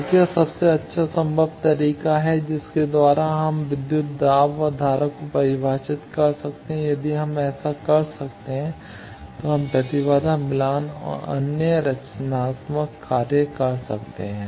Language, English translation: Hindi, So, what is the best possible way by which we can define voltage and current if we can do that then we can impedance matching and other design things